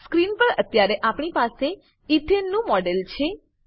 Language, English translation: Gujarati, We now have the model of Ethane on the screen